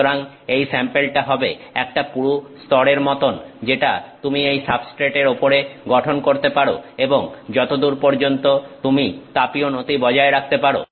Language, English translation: Bengali, So, the sample is like a is like a thick layer which you can form on top of this substrate and to the extent that you can maintain the thermal gradient